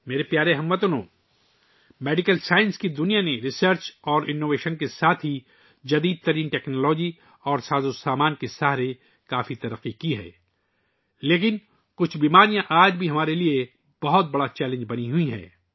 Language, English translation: Urdu, My dear countrymen, the world of medical science has made a lot of progress with the help of research and innovation as well as stateoftheart technology and equipment, but some diseases, even today, remain a big challenge for us